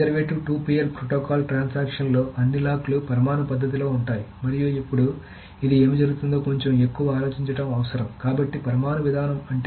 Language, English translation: Telugu, In the conservative two phase protocol, transaction gets all the locks in an atomic manner and now this requires a little bit more thought of what is what is this happened